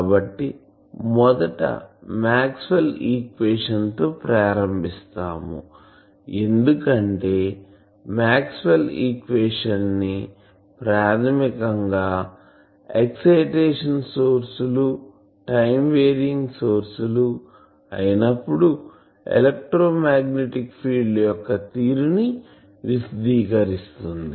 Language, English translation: Telugu, So, we first start whether Maxwell’s equation, because Maxwell’s equation you know that summarizes basically the behavior of electromagnetic fields when sources of excitation are present those are time varying sources